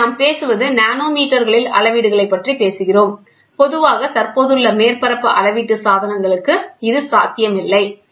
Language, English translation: Tamil, So, here what we talk about we talk about measurements in nanometers which is not generally possible with the existing surface measuring devices, ok